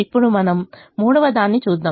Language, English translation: Telugu, now we look at the third one